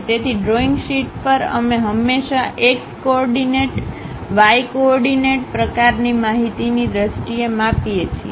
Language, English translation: Gujarati, So, on the drawing sheet, we always measure in terms of x coordinate, y coordinate kind of information